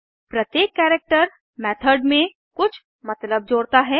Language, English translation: Hindi, = Each of the characters add some meaning to the method